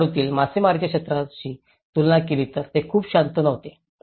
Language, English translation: Marathi, So, it was not if you compare in the fishing sector in Tamil Nadu it was very quiet different set up